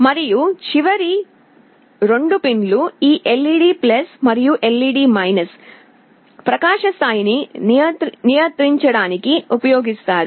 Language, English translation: Telugu, And the last 2 pins this LED+ and LED , these are used to control the brightness level